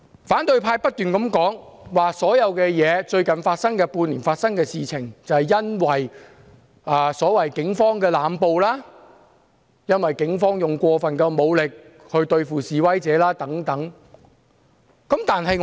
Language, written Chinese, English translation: Cantonese, 反對派不斷重申，最近半年發生的所有事情，都是因為所謂警方的濫捕、過分使用武力對付示威者等。, The opposition has reiterated that everything that happened in the last half year was due to the so - called indiscriminate arrests and excessive use of force against protesters by the Police